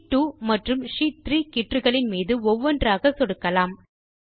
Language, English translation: Tamil, Now click on the Sheet 2 and the Sheet 3 tab one after the other